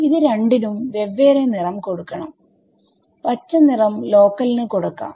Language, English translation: Malayalam, So, each of these we will use a different color for let us use the green color for local ok